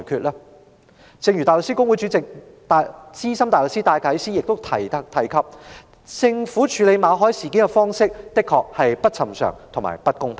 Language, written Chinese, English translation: Cantonese, 香港大律師公會主席兼資深大律師戴啟思亦指出，政府處理馬凱事件的方式確實不尋常和不公平。, Philip DYKES Chairman of the Hong Kong Bar Association and a senior barrister has also pointed out that the Governments handling of the MALLET incident was indeed unusual and unfair